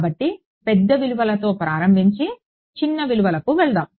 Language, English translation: Telugu, So, this is let us start with the large values and go to finer values right